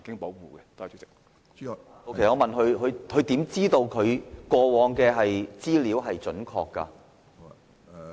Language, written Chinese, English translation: Cantonese, 我是問局長，他如何知道過往的資料是準確的？, My question to the Secretary is How can he be sure that the past data are correct?